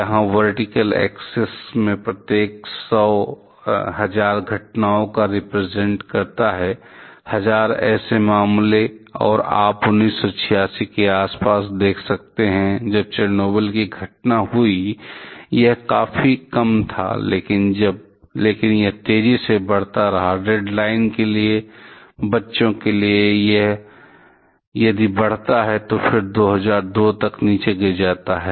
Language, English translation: Hindi, Here the vertical axis represents every 1000 incidence; 1000 such cases and you can see around 1986, when the Chernobyl incident happened it was quite small, but it kept on increasing rapidly; for the redline refers to the children it increases and then again drops down by 2002